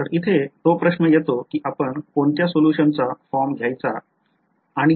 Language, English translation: Marathi, So, here comes the question of which form of the solution to take and why